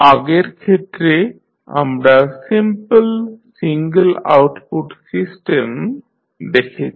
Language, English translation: Bengali, In the previous case we saw the simple single output system